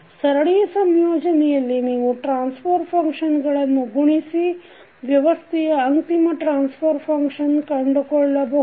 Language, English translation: Kannada, So in case of series combination you can multiply the transfer functions and get the final transfer function of the system